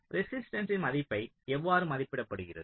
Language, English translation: Tamil, so this is how resistance value is estimated